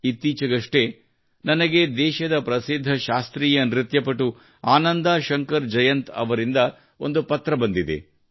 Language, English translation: Kannada, Recently I received a letter from the country's famous Indian classical dancer Ananda Shankar Jayant